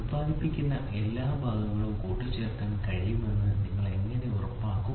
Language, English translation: Malayalam, So and how do you make sure that all parts produced can be assembled